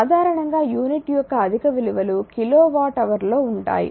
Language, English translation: Telugu, In general it will higher you your higher values of unit that is kilo watt hour right